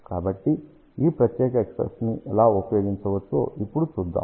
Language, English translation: Telugu, So, let us see now how this particular expression can be used further